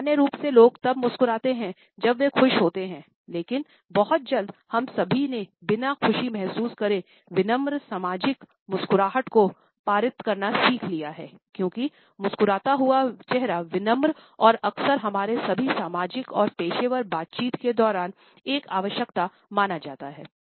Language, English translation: Hindi, People normally smile when they are happy, but very soon all of us learned to pass on polite social smiles without exactly feeling happy, because as I smiling face is considered to be polite and often considered to be a necessity during all our social and professional interaction